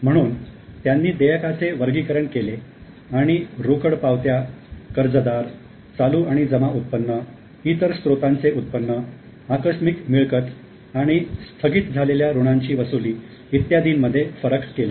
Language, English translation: Marathi, So, the receipts have been classified and the differentiation has been made between cash receipts, debtors, current and accrued income, income from other sources, windfall gains and recovery of bad debts and so on